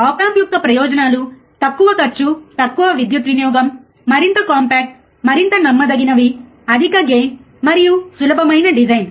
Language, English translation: Telugu, The advantages of op amps are it is low cost, right less power consumption, more compact, more reliable, high gain and easy design